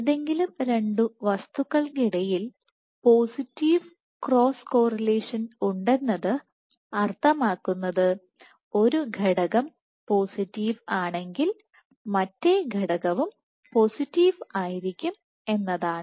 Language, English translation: Malayalam, Cross correlation as positive would mean between any two quantities would mean that one guy if is positive the other unit also would be positive